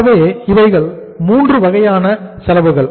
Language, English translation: Tamil, So these are the 3 costs